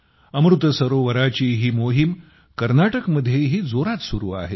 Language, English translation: Marathi, This campaign of Amrit Sarovars is going on in full swing in Karnataka as well